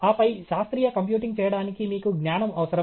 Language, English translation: Telugu, And then, you require knowledge to do scientific computing